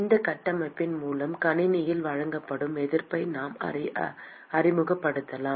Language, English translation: Tamil, With this framework, we could introduce what has called the resistance that is offered by the system